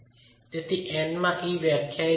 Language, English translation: Gujarati, So, n into E is defined